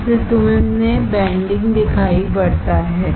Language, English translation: Hindi, That is why you see a bending